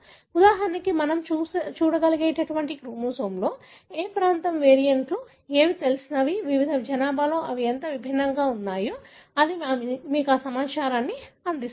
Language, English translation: Telugu, For example, any region of the chromosome we can look at, what are the variants known, how different they are in different population that gives, you know, information